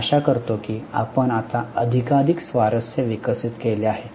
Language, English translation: Marathi, I hope you have developed now more and more interest